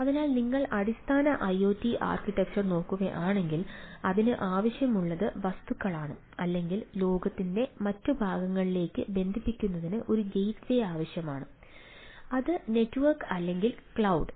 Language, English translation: Malayalam, so if you look at the basic iot ah architecture, so what it requires on the things, it is the objects or the needs, a gateway right to connect to the rest of the world, that is network or cloud and type of things